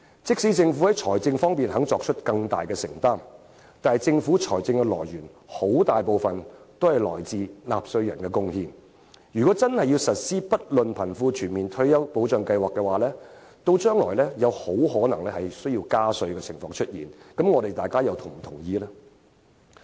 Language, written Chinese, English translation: Cantonese, 即使政府願意在財政方面作出更大的承擔，但政府財政收入的來源，很大部分來自納稅人的"貢獻"，倘若真的推行不論貧富的全民退休保障計劃的話，將來很可能需要加稅，那麼大家又會否同意呢？, Even if the Government is willing to make greater financial commitments but since the Governments revenue mostly comes from taxpayers contribution it is very likely that the Government will increase taxes in future if a universal retirement protection scheme for both the rich and the poor is to be implemented . Will Hong Kong people give a nod to this then?